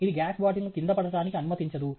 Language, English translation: Telugu, It doesnÕt allow the gas bottle to fall down